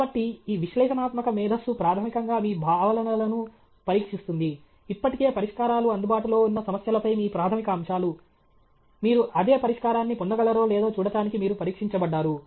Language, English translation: Telugu, So, this analytical intelligence is, basically, is we test your concepts, your fundamentals on problems for which solutions are already available; you are testing whether you can get the same solution